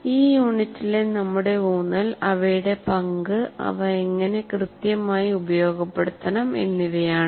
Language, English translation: Malayalam, Our focus in this unit will be looking at their role and how exactly one should make use of this